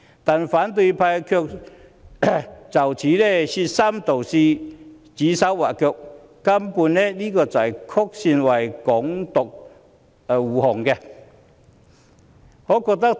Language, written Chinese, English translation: Cantonese, 不過，反對派卻就此說三道四，指手劃腳，根本是曲線為"港獨"護航。, Yet the opposition camp has made irresponsible remarks and arbitrary comments indirectly guarding Hong Kong independence